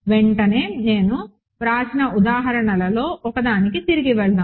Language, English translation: Telugu, Immediately, let us go back to one of the examples that I wrote